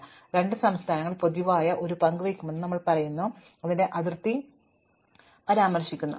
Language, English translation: Malayalam, When, we say that two states share a common boundary, it does not matter which order we mention them in